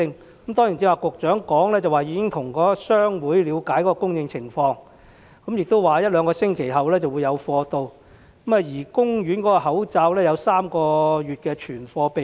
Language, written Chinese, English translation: Cantonese, 局長剛才說已經向商會了解供應情況，說一兩星期後會有供應，而公營醫院的口罩亦有3個月的存貨備用。, The Secretary said just now that she had already approached the chamber of pharmacy to find out about the situation of supplies . She said that there would be supply in a week or two and that the stock of masks in public hospitals could last for three months